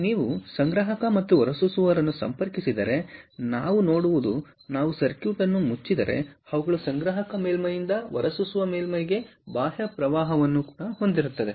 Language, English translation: Kannada, if you connect the collector and emitter, what we will see is, if we, if we close the circuit, then they will have an external current flow from the collector surface to the emitter surface